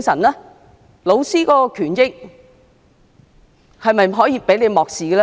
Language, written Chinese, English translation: Cantonese, 教師的權益又是否可以被漠視呢？, Can teachers rights and interests be ignored?